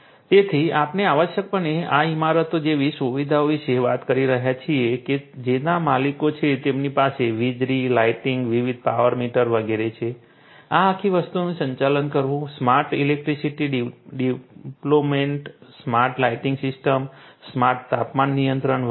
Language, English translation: Gujarati, like this these buildings which have their owners, they have electricity, lighting, you know different power meters, etcetera, etcetera, managing this whole thing you know having smart electricity deployment, smart lighting systems, smart temperature control and so on